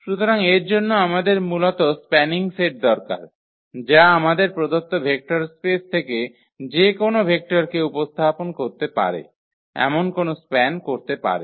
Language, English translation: Bengali, So, for that we need spanning set basically that can span any that can represent any vector from our vector space in the form of this given vector